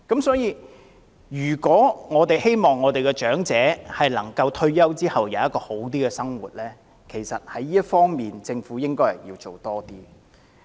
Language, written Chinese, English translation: Cantonese, 所以，如果我們希望長者能夠在退休後享有較好的生活，政府其實應該在這方面多做工夫。, Hence if we hope the elderly can lead a better life after retirement the Government should actually make more efforts in this aspect